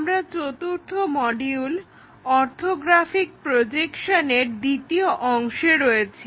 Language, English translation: Bengali, We are in module number 4, Orthographic Projections II